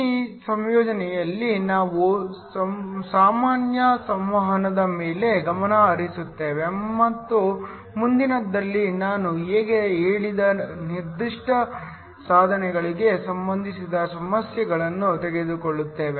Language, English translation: Kannada, In this assignment, we will focus on the general interaction and in the next one we will take a problems related to the specific devices which I just mentioned